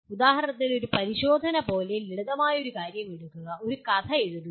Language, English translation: Malayalam, For example take a simple thing like a test could be write a story